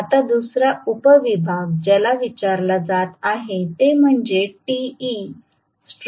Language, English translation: Marathi, Now, the second division the sub division that is being asked is what is te starting